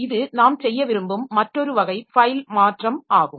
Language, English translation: Tamil, So, that is another type of file modification that we like to do